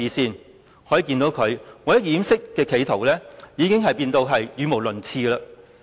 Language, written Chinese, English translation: Cantonese, 由此可見，他為了掩飾企圖已經變得語無倫次。, It is well evident that LEUNG Chun - ying has been talking nonsense in order to conceal his intention